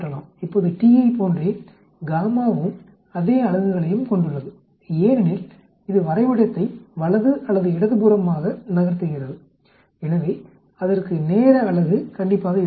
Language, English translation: Tamil, Now gamma also has the same units as t because it is shifting the graph to the right or to the left, so it should have the time unit